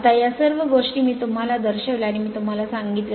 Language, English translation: Marathi, Now, so all these things I showed you and I told you right